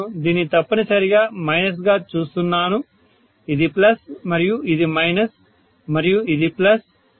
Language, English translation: Telugu, See I am essentially looking at this as minus, this as plus and this as minus and this as plus, right